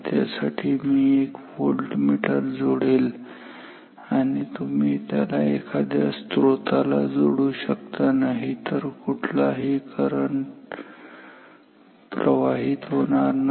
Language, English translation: Marathi, So, I connect a voltmeter and you can connect it to a source otherwise no current will flow ok